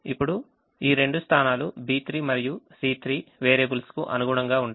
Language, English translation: Telugu, now these two positions, b three and c three, correspond to the variables